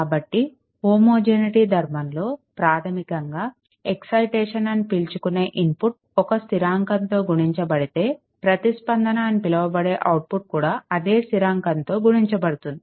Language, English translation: Telugu, So, basically it requires that if the input that is called the excitation is multiplied by the constant, then the output it is called the response is multiplied by the same constant